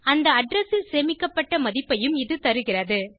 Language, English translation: Tamil, It also gives value stored at that address